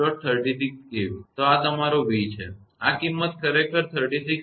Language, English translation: Gujarati, 36 k V; so this is your v; this magnitude actually 36